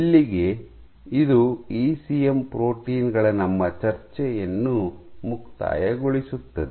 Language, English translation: Kannada, So, that concludes our discussion of ECM proteins